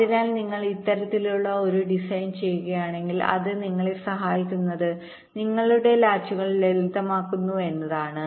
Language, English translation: Malayalam, ok, so if you do this kind of a design, what it helps you in that is that your latches becomes simpler